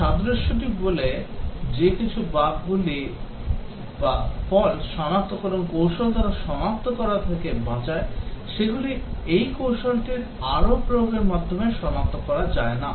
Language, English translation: Bengali, The analogy says that the bugs that escape detection by some fall detection technique cannot be detected by further application of that technique